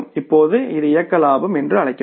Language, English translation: Tamil, Now this will be called as the operating profit